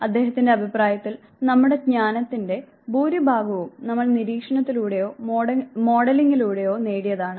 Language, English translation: Malayalam, According to him most of our learning is acquired through observation or modelling